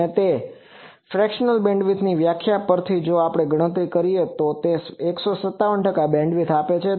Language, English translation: Gujarati, And fractional bandwidth from that definition, if we calculate it gives 157 percent bandwidth